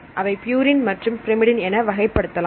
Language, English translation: Tamil, So, we have two different types; so classified into purine and pyrmidine